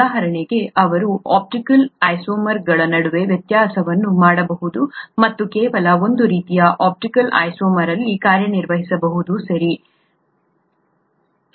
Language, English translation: Kannada, For example, they can differentiate between optical isomers and act on only one kind of optical isomer, okay